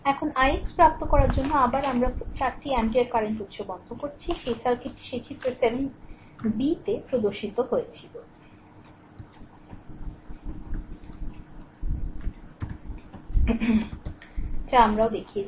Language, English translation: Bengali, Now, to obtain i x double dash again you turn off the 4 ampere current source we have seen so, that circuit becomes that shown in figure 7 b that also we have shown